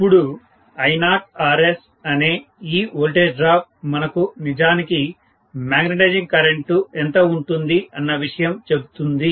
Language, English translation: Telugu, Now, this voltage drop I0 times Rs will tell me what is actually the magnetising current quantity